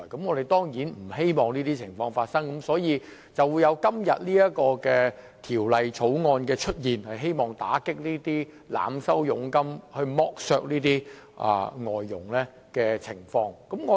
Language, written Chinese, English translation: Cantonese, 我們當然不希望發生這種情況，因而便有了今天這項《條例草案》，希望打擊這些透過濫收佣金剝削外傭的情況。, We certainly will not like to see this happen and so we have this Bill today seeking to combat such overcharging of commission which has subjected foreign domestic helpers to exploitation